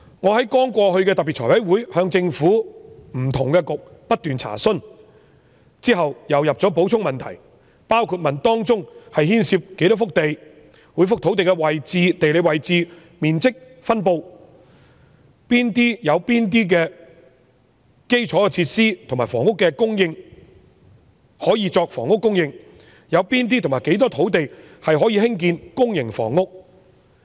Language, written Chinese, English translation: Cantonese, 我在剛過去的財委會特別會議上不斷向政府不同的政策局查詢，之後又提交補充問題，內容包括這些土地當中牽涉多少幅土地、每幅土地的地理位置、面積及分布如何、有哪些是設有基礎設施可以作房屋供應用途、有哪些及多少土地可以興建公營房屋？, sites for building small houses . At the special meeting of the Finance Committee held recently I put many enquiries to different Policy Bureaux and later submitted supplementary questions to them . My questions covered the number of sites involved their geographical locations areas and distribution; which sites are served by infrastructures and can be used for housing construction the areas covered by such sites that can be used for building public housing etc